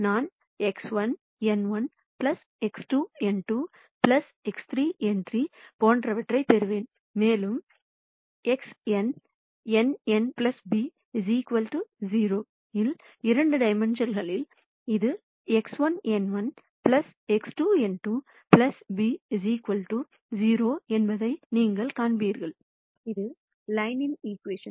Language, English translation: Tamil, So, I will get something like X 1 n 1 plus X 2 n 2 plus X 3 n 3 and so on X n n n plus b equals 0 in just two dimensions, you will see that this is X 1 n 1 plus X 2 n 2 plus b equals 0 which is an equation of line